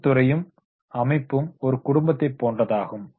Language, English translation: Tamil, Industry and organization is like a family